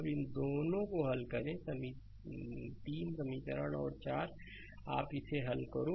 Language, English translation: Hindi, And solve these two that equation 3 and 4 you solve it right